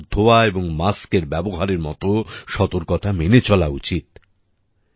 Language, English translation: Bengali, We also have to take necessary precautions like hand hygiene and masks